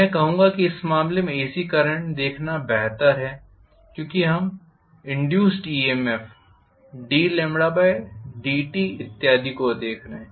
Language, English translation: Hindi, I would say it is better to look at an AC current in this case because we are looking at the induced EMF, d lambda by dt and so on and so forth